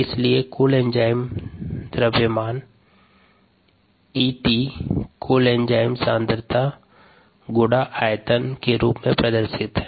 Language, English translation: Hindi, therefore, the mass of the total enzyme, e, t, is the concentration of the total enzyme times the volume